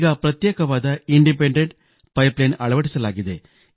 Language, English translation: Kannada, Now an Independent pipeline has been constructed